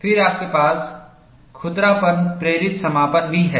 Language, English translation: Hindi, Then, you also have roughness induced closure